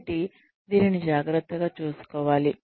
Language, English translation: Telugu, So, this has to be taken care of